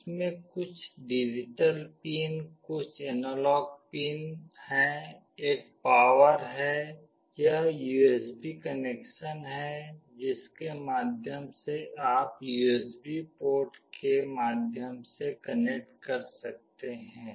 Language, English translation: Hindi, It has got some digital pins, some analog pins, there is a power, this is the USB connection through which you can connect through USB port